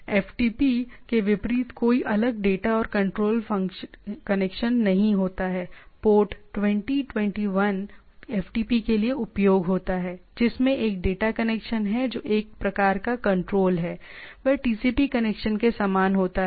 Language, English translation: Hindi, So, there is no separate data and control connection unlike FTP right there was port 20, 21, one is data for one is control type of things, they are the same TCP connection